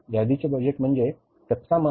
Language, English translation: Marathi, Inventory budget means raw material